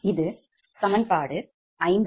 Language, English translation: Tamil, this is equation sixty four